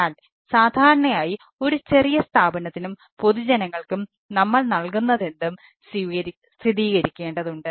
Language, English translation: Malayalam, but normally for a small institution and public at large we need to confirm to the whatever is being provided